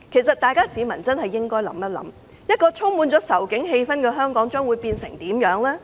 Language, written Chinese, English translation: Cantonese, 市民應想想，充滿仇警氣氛的香港會變成怎樣？, Members of the public should consider what will happen to Hong Kong when anti - police sentiment is looming over Hong Kong